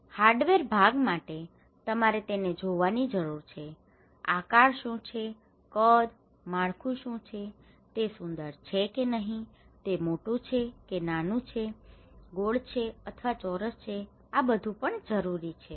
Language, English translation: Gujarati, For hardware part, you need to watch it, what is the shape, size, structure, is it beautiful or not, is it big or small, okay is it round or square so, these are also very necessary